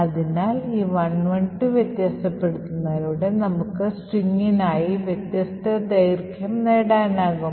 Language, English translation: Malayalam, So, by varying this 112, we could actually get different lengths for the string